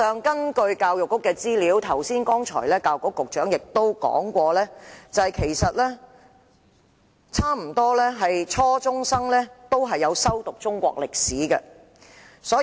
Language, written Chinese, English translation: Cantonese, 根據教育局的資料，教育局局長剛才亦提及，幾乎所有初中學生均修讀中國歷史科。, According to information from the Education Bureau and as mentioned by the Secretary for Education just now almost all junior secondary students are taking the subject of Chinese History